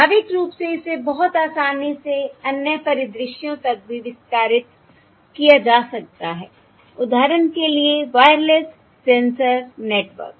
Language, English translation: Hindi, Naturally this can be extended to other scenarios also, for instance the Wireless Sensor Network, very easily